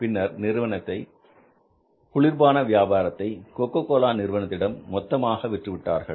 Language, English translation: Tamil, They sold their soft drink business to Coca Cola